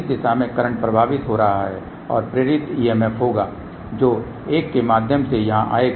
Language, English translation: Hindi, The current is flowing through this in this direction and there will be induced EMF which will be coming through this one here